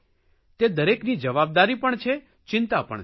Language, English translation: Gujarati, This is everyone's concern and responsibility too